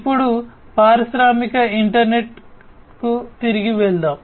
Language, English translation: Telugu, Now, let us go back to the industrial internet